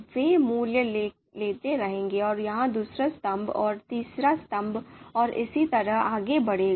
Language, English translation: Hindi, They will keep on taking and it will generate the second column and third column and and and so on so forth